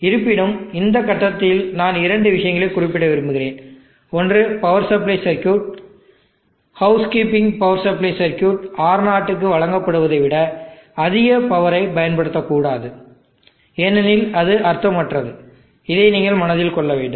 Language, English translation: Tamil, However, I would like to at this point mention two points, one is the power supply circuit, the housekeeping power supply circuit should not consume more power than what is being deliver to R0 because it does not meaningful, that is one point that you have to keep in mind